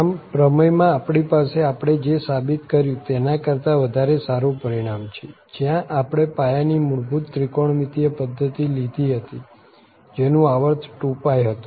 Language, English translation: Gujarati, So, the theorem, what is we have a more general result than what we have just proved where we have taken the basic the fundamental trigonometric system where the period was 2 pi